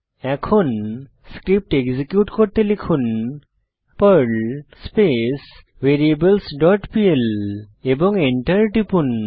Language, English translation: Bengali, Now lets execute the Perl script by typing perl variables dot pl and press Enter